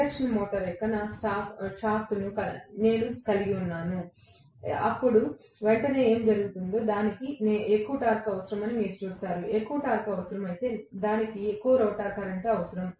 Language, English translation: Telugu, Let’s say, I hold probably my shaft of the induction motor, then what will happen immediately you would see that it will require more torque, if there is a requirement of more torque it will need more rotor current